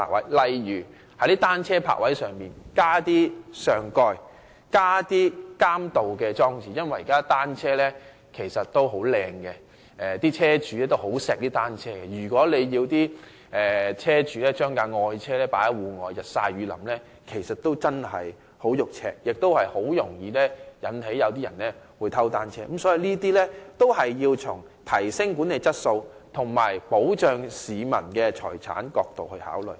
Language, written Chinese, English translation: Cantonese, 舉例來說，當局可在單車泊位加設上蓋和監盜裝置，因為現時單車的質素很好，車主也很愛惜單車，如果要車主把愛車放在戶外日曬雨淋，他們感到很心痛，亦容易吸引別人偷單車，所以當局要從提升管理質素及保障市民財產的角度來考慮。, For instance additional shelters and anti - burglary installations may be provided at bicycle parking spaces . Bicycles owners love their bicycles very much because the quality of bicycles is very good nowadays . They will find it heartrending to subject their beloved bicycles parked outside to the elements